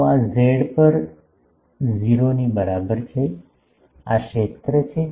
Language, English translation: Gujarati, So, this is at z is equal to 0, this is the field